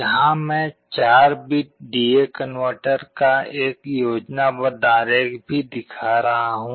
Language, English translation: Hindi, Here also I am showing a schematic diagram of 4 bit D/A converter